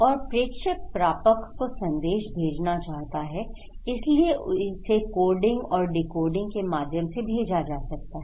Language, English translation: Hindi, And sender wants to send message to the receiver right, so it can be sent through coding and decoding